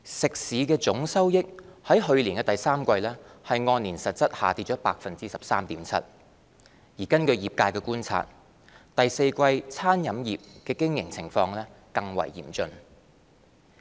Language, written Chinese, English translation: Cantonese, 食肆總收益在去年第三季按年實質下跌 13.7%， 根據業界觀察，第四季餐飲業的經營情況更為嚴峻。, Total restaurant receipts registered a year - on - year decline of 13.7 % in real terms in the third quarter . Observations from the trade suggested that the business situation of the catering industry would be even more difficult in the fourth quarter